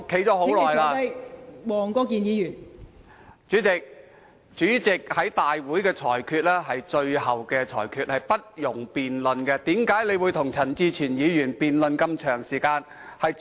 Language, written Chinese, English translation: Cantonese, 代理主席，主席在大會的裁決是最後的裁決，是不容辯論的，為甚麼你要與陳志全議員辯論這麼久？, Deputy President the ruling made by the President in the Council is the final ruling which is not debatable . Why have you argued with Mr CHAN Chi - chuen for such a long time?